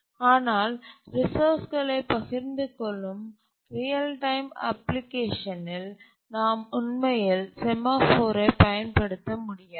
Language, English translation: Tamil, But in a real timetime application when the task share resources, we can't really use a semaphore